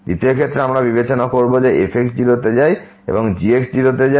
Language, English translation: Bengali, In the 2nd case we will consider that goes to 0 and this goes to 0